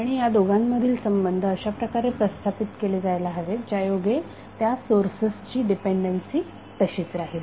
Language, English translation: Marathi, And the relationship these two should be stabilize in such a way that the dependency of these sources is intact